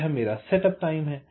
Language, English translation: Hindi, ok, this is the setup time